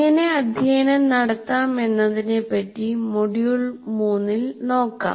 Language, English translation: Malayalam, So these are the things that we will look at in module 3